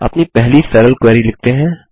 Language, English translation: Hindi, Let us write our first simple query